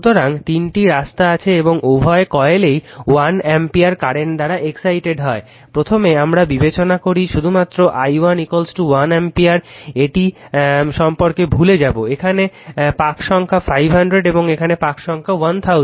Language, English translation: Bengali, So, there are three paths right and say both we say either of this what coil is excited by 1 ampere current first we consider only i 1 is equal to 1 ampere forget about this one, the turns here it is 500 and turns here it is your 1000 turns